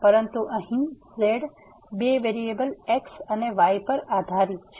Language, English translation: Gujarati, But now here the z depends on two variables x and y